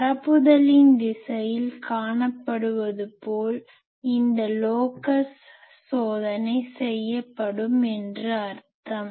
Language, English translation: Tamil, And the sense in which that locus is test as observed along the direction of propagation